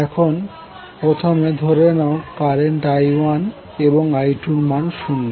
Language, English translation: Bengali, Now let us assume that first the current I 1 and I 2 are initially zero